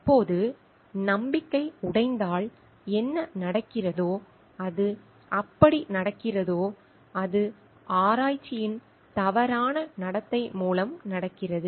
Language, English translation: Tamil, Now, what happens when the breaking of trust happens and how it happens is like, it happens through research misconduct